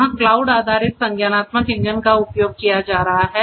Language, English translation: Hindi, This cloud based cognitive engines are being used